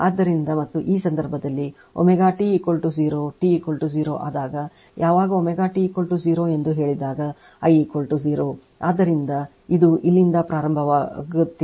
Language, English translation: Kannada, So, and in this case when omega t is equal to 0, when omega t is equal to 0 say when omega t is equal to 0 so, I is equal to 0